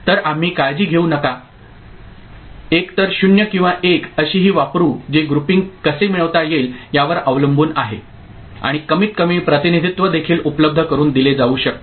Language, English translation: Marathi, So, we shall use that don’t care either as 0 or as 1 depending on how the groupings can be obtained and a minimized representation can be made available ok